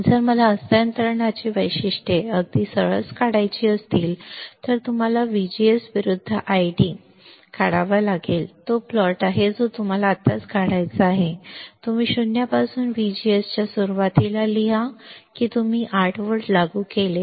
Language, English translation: Marathi, If I want to draw the transfer characteristics very easy you have to draw I D versus, VGS I D versus VGS that is the plot that you have to draw right now you write down early of VGS from 0 to how much you applied 8 volts you applied